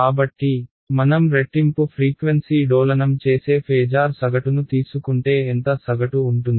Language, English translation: Telugu, So, if I take the average of phasors that is oscillating at twice the frequency has how much average